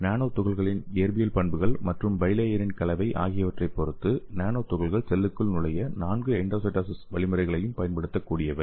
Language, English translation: Tamil, So depending on the physical properties of nanoparticles and the composition of the bilayer okay, the nanoparticles have the ability to utilize all four of the endocytosis mechanisms to enter the cells